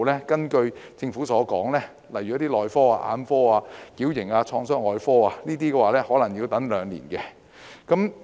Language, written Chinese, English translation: Cantonese, 根據政府資料，一些內科、眼科和矯形及創傷外科的專科可能需要輪候兩年。, According to government information patients in certain specialities such as Medicine Ophthalmology and Orthopaedics Traumatology may need to wait for two years